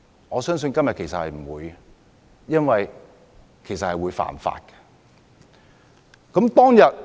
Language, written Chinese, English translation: Cantonese, 我相信他們不會這樣做，因為這是違法的事。, I believe they would not do so because such an act is illegal